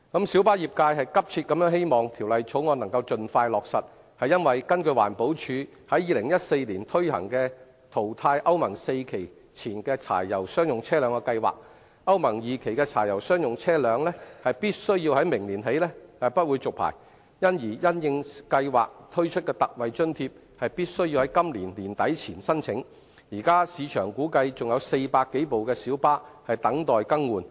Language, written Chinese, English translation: Cantonese, 小巴業界急切希望《條例草案》能夠盡快落實，是因為根據環保署2014年推行的淘汰歐盟 IV 期以前柴油商業車輛的計劃，歐盟 II 期的柴油商業車輛在明年起將不獲續牌，而因應計劃推出的特惠津貼，必須在今年年底前申請，現時估計市場還有400多輛小巴等待更換。, The light bus trade earnestly hopes that the Bill can be implemented expeditiously for the reason that under a scheme for phasing out pre - Euro IV diesel commercial vehicles implemented by the Environmental Protection Department in 2014 the licenses for pre - Euro II diesel commercial vehicles will not be renewed starting from next year and applications for the ex - gratia payment introduced under the scheme must be filed before the end of this year . It is estimated that some 400 light buses in the market are still pending to be replaced